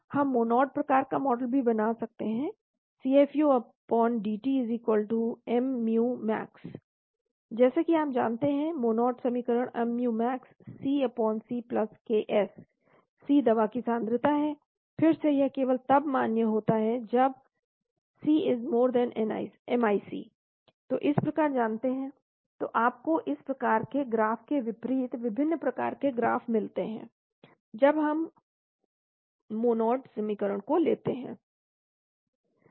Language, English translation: Hindi, We can make Monod type of model also , CFU/dt= mu max, as you know Monod equation mu max C/C+Ks, C is the concentration of the drug, again it is valid only when C>MIC, like that you know so you get that different type of graph as against this type of graph , when use assume a Monod equation